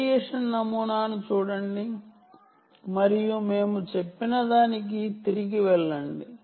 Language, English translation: Telugu, so look at the radiation pattern and go back to what we said